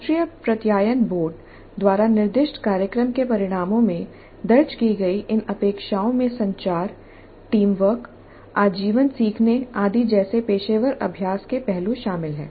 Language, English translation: Hindi, These expectations as captured in the program outcomes specified by the National Board of Accretation include aspects of professional practice like communication, teamwork, life learning, lifelong learning, etc